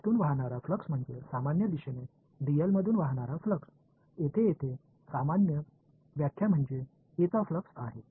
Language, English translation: Marathi, Is the flux through it is the flux through dl in the normal direction, over here was in that the same interpretation is a flux of A